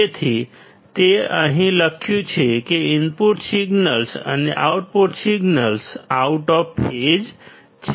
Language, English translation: Gujarati, So, that is what is written here, that the input signals and output signals are out of phase